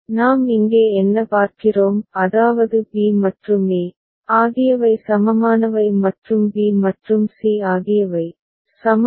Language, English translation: Tamil, What do we see here is that b and e are equivalent and b and c are equivalent